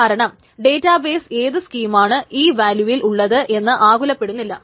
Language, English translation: Malayalam, The database per se doesn't care about what the schema in these values